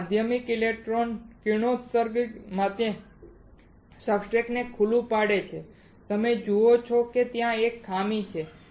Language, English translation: Gujarati, Next is exposes substrate to secondary electron radiation you see that there is a drawback